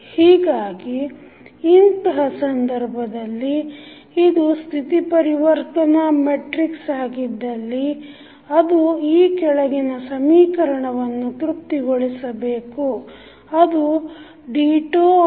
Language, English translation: Kannada, So, in that case if it is the state transition matrix it should satisfy the following equation, that is dy by dt is equal to A phi t